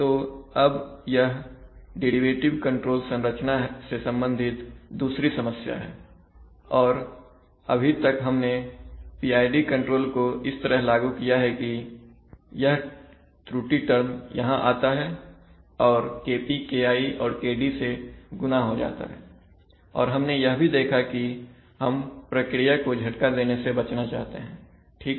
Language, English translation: Hindi, So now we come to the now there is, there is a second problem associated with the derivative control structure and so far as we have seen, we have implemented, we have, we have implemented the PID control like this that is the error term, the error term goes here gets multiplied by KP gets multiplied KI and gets multiplied by KD also, now as we have seen that we want to avoid giving shocks to the process right